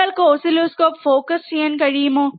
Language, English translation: Malayalam, Can you please focus oscilloscope